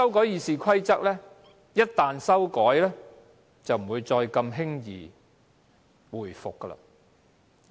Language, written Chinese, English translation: Cantonese, 《議事規則》一經修訂，便難以往回走。, Once RoP is amended the changes can hardly be reversed